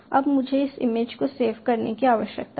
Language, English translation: Hindi, now i need to save this image